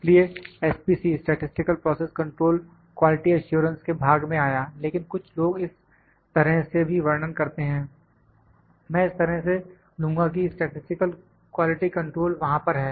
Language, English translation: Hindi, C does come in the quality assurance part, but some people would describe in this way as well, I will take in this way that statistical quality control is there